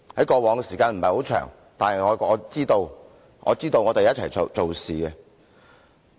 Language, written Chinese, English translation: Cantonese, 過往這些時間不是很長，但我們一起做事。, We have worked together though not for a very long time